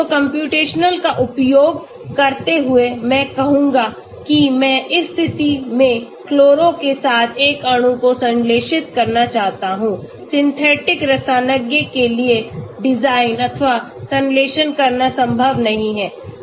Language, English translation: Hindi, So using computational I will say I want to synthesize a molecule with the chloro in this position that position, may be it is not possible for the synthetic chemist to design or synthesize